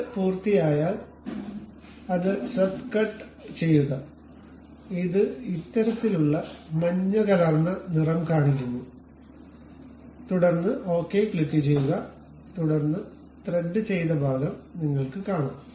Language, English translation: Malayalam, Once it is done go to swept cut it shows this kind of yellowish tint, then click ok, then you see the threaded portion